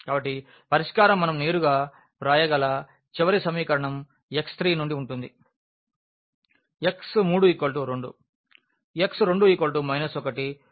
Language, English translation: Telugu, So, the solution will be from the last equation we can directly write down our x 3